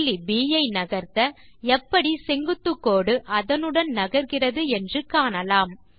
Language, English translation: Tamil, Lets Move the point B, and see how the perpendicular line moves along with point B